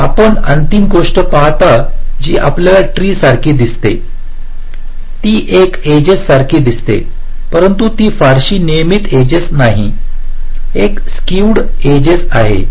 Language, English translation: Marathi, so you see the final thing that you get looks like a tree, looks like an edge, but it is not a very regular edge, a skewed edge